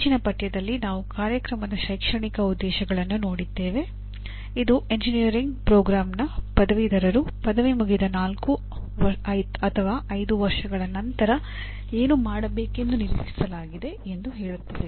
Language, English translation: Kannada, In the earlier unit we looked at Program Educational Objectives, which state that what the graduates of an engineering program are expected to be doing 4 5 years after graduation